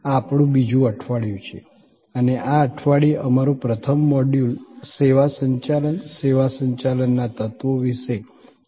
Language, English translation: Gujarati, This is our week number 2 and our first module in this week is about Services Management, the Elements of Services Management